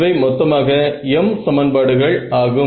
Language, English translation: Tamil, I am going to get another m equations